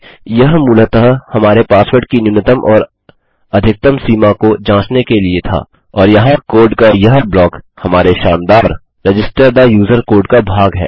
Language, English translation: Hindi, This is basically for checking a minimum or maximum limit on our password and this block of code here is will be our magical register the user piece of code